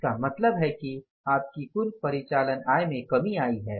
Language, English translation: Hindi, Means the total your operating income has come down